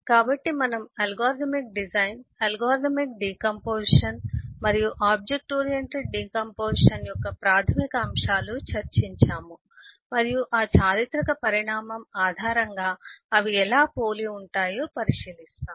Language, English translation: Telugu, so we have eh discussed eh the basic of algorithmic eh design, algorithmic decomposition and the object oriented decomposition, and eh we will next take a look into how do they compare based on that historical evolution